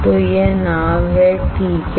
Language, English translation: Hindi, So, this is the boat alright